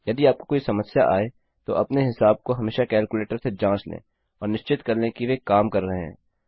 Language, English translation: Hindi, If you come across any problems, always verify your calculations with a calculator to make sure theyre working